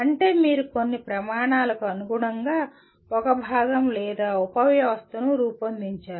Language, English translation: Telugu, That means you design a component or a subsystem to meet certain standards